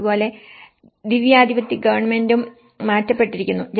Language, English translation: Malayalam, And similarly, the theocratic government has been changed